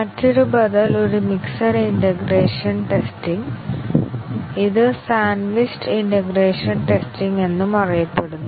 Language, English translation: Malayalam, The other alternative is a mixed integration testing also called as a sandwiched integration testing